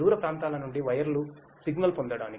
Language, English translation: Telugu, To get the wired signal from far off points